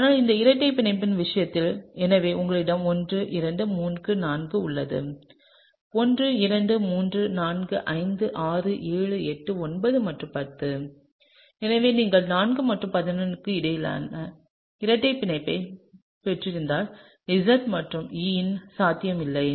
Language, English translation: Tamil, But in the case of this double bond that is, so you have 1 2 3 4; 1 2 3 4 5 6 7 8 9 and 10; so, for the case where you have a double bond between 4 and 11 there is no possibility of Z and E